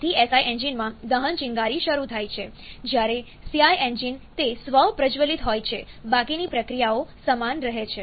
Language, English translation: Gujarati, So, in SI engine, the combustion is spark initiated, whereas CI engine it is self ignited, rest of the processes remain the same